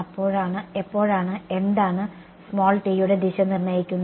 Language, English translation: Malayalam, When will it what determines the direction of t